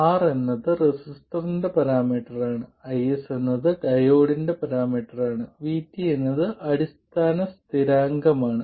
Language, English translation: Malayalam, R is a parameter of the resistor and IS is a parameter of the diode and VT is a fundamental constant